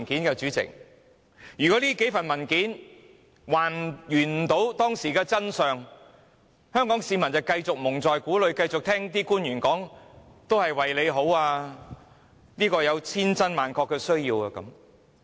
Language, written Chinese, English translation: Cantonese, 如果這些文件也無法還原當時的真相，香港市民將會繼續被蒙在鼓裏，只好繼續相信官員所說這是為大家好，而且有千真萬確的需要。, If those documents still fail to recover the truth back then the people of Hong Kong will continue to be kept in the dark and have to believe in the words of government officials that the project is implemented for our well - being and there is a genuine need to do so